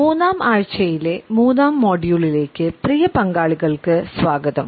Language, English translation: Malayalam, Welcome dear participants to the 3rd module of the 3rd week